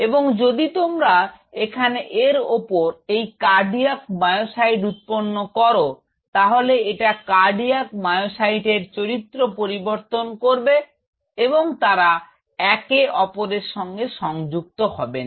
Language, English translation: Bengali, And if you grow these cardiac myocytes out here on top of this then it will change the properties of cardiac myocyte they will not adhered to each other